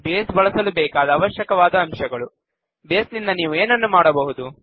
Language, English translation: Kannada, Prerequisites for using Base What can you do with Base